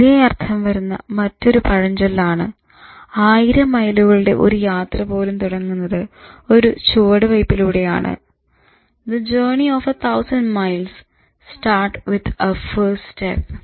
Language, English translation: Malayalam, So again echoing other proverb like the journey of a thousand miles start with the first step